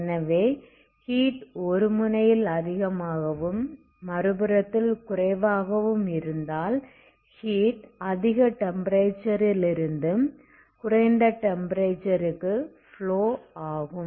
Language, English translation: Tamil, So you will have if it is a temperature is high here temperature is low the heat is flowing from high temperature to low temperature that is this direction